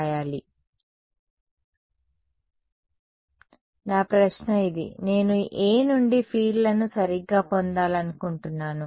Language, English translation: Telugu, No; my question is this, I have from A I want to get to fields right